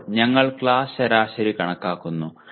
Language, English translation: Malayalam, Now we compute the class averages